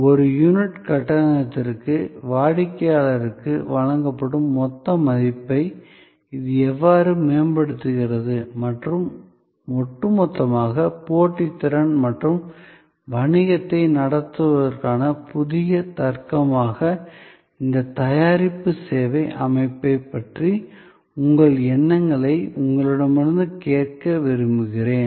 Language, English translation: Tamil, How it improves the total value provided to the customer per unit of payment and on the whole, I would like your thoughts to hear from you about this product service system as a new logic for competitiveness and for conducting business